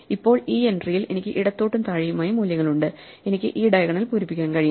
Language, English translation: Malayalam, Now at this entry, I have values to the left and below, so I can fill up this diagonal